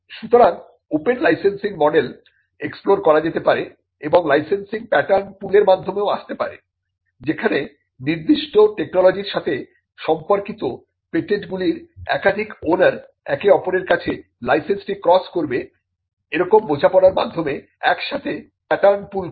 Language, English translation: Bengali, So, there could also be open licensing models which can be explored and licensing can also come by way of pattern pools where multiple owners of patents pertaining to a particular technology pull the pattern together on an understanding that they will cross license it to each other